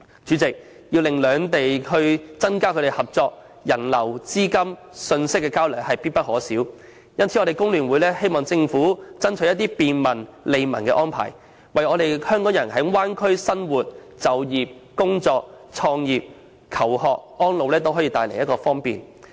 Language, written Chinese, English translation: Cantonese, 主席，要令兩地增加合作，人流、資金流及信息交流實屬必不可少，因此工聯會希望政府能爭取一些便民、利民的安排，為港人在大灣區生活、就業、創業、求學及安老帶來方便。, President in order to enhance cooperation between the two places it is essential to promote the flow of people capital and information and FTU hopes that the Government would endeavour to implement arrangements for the convenience and benefit of the people thereby facilitating Hong Kong people to live work start their own businesses study and live their retired life in the Bay Area